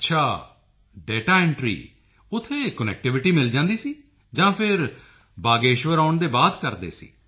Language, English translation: Punjabi, O…was connectivity available there or you would do it after returning to Bageshwar